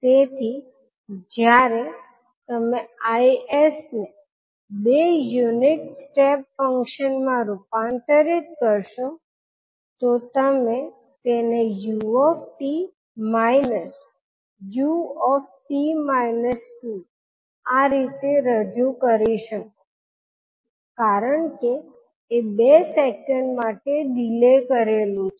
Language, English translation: Gujarati, So when you convert Is into two unit step functions you will represent it like u t minus u t minus two because it is delayed by two seconds